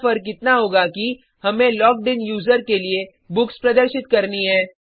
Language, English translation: Hindi, Here the difference will be that we have to display the books for the logged in user